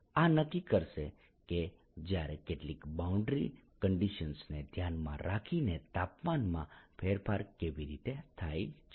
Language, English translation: Gujarati, this is what will determine how temperature changes with time, given some boundary conditions, right